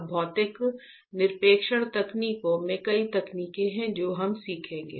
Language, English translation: Hindi, Now, in physical deposition techniques there are several techniques that we will learn right